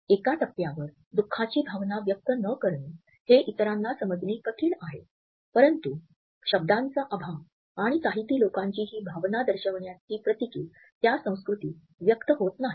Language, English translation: Marathi, It is difficult for some united states to comprehend not expressing sadness at one point or another, but the absence of the word and the Tahitian symbolizes that emotion is not expressed in that culture